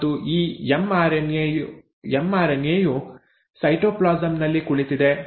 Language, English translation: Kannada, And now this mRNA is sitting in the cytoplasm